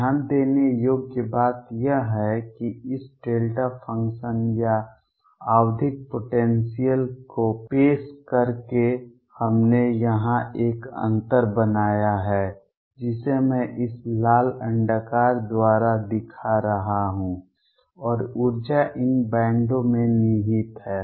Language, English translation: Hindi, What is noticeable is that by introducing this delta function or periodic potential we have created a gap here which I am showing by this red ellipse and energy is lie in these bands